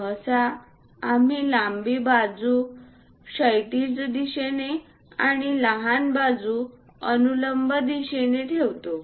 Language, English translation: Marathi, Usually, we keep a longer side in the horizontal direction and the vertical shorter side